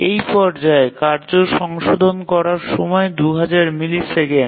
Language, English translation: Bengali, So, the phase of this task, the task correction task is 2,000 milliseconds